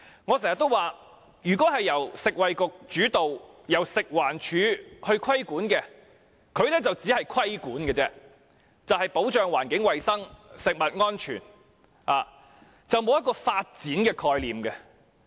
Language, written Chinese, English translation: Cantonese, 我經常說，由食衞局主導，食物環境衞生署規管，就只是規管，以保障環境及食物安全，並無發展的概念。, As I have always said when the Food and Environmental Hygiene Department FEHD is responsible for regulation under the lead of the Food and Health Bureau regulation is conducted to protect the environment and food safety and the concept of development does not exist